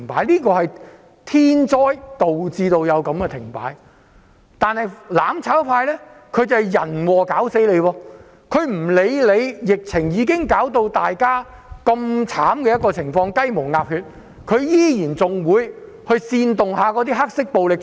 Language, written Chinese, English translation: Cantonese, 停擺是天災導致的，但"攬炒"卻是人禍，"攬炒派"無視疫情令大家如此慘痛和雞毛鴨血，依然煽動"黑暴"搗亂。, While the standstill is induced by natural disaster mutual destruction is man - made . The mutual destruction camp has turned a blind eye to the fact that the epidemic has caused so much pain and damage to us but has continued to incite black - clad people to riot